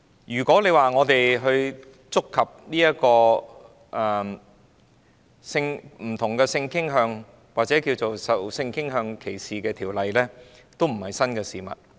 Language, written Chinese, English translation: Cantonese, 如果說，我們的辯論範圍觸及不同性傾向或受性傾向歧視的條例，這也並非新事物。, It is nothing new to say that our debate touches on legislation related to different sexual orientations and discrimination on the ground of sexual orientation